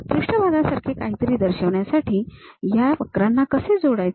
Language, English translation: Marathi, How to join these curves to represent something like a surface